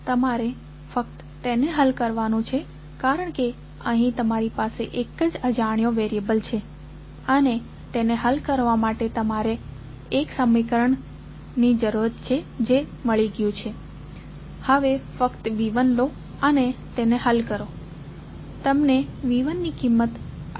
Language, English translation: Gujarati, You have to just simply solve it because here you have only 1 unknown and you have got one equation to solve it, you simply take V 1 out and solve it you will get the value of V 1 as 79